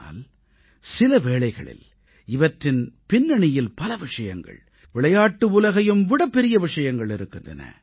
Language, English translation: Tamil, But, at times, in the background, there exist many things that are much higher, much greater than the world of sports